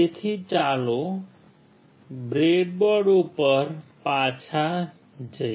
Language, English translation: Gujarati, So, let us go back to the breadboard